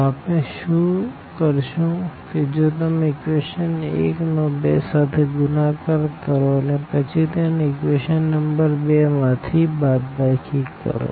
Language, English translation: Gujarati, So, what we are supposed to do actually that if you multiply this equation 1 by 2 and then subtract this equation from this equation number 2